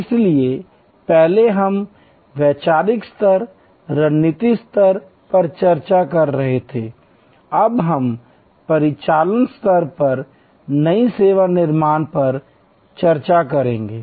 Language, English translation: Hindi, So, earlier we were discussing at conceptual level, strategic level, now we will discuss new service creation at an operational level